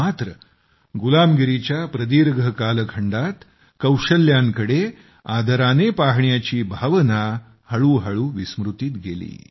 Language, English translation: Marathi, But during the long period of slavery and subjugation, the feeling that gave such respect to skill gradually faded into oblivion